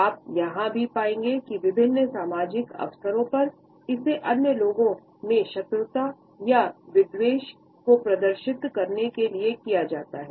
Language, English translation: Hindi, At the same time you would find that on various social occasions, it is displayed to lower the hostility or rancor in other people